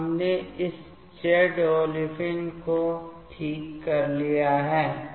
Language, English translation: Hindi, So, we have taken this Z olefin ok